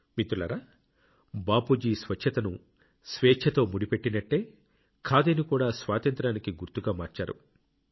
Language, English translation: Telugu, Bapu had connected cleanliness with independence; the same way he had made khadi the identity of freedom